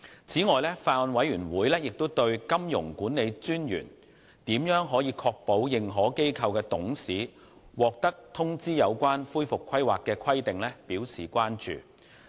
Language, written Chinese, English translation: Cantonese, 此外，法案委員會亦對金融管理專員如何確保認可機構的董事獲通知有關恢復規劃的規定表示關注。, Moreover the Bills Committee is concerned about how the Monetary Authority MA will ensure that directors of authorized institutions AIs will be notified of the requirements relating to recovery planning